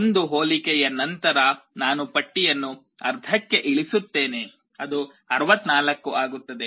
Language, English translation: Kannada, After one comparison I reduce the list to half, it becomes 64